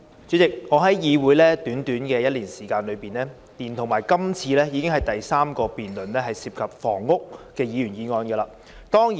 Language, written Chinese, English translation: Cantonese, 主席，我加入議會短短1年時間，連同今次，已經是第三個涉及房屋的議員議案。, President it has been only one year since I joined the Legislative Council and this is already the third Members motion on housing